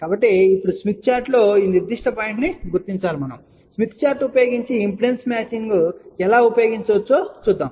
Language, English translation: Telugu, So now, let us locate this particular point on the smith chart and let us see how we can use impedance matching concept using smith chart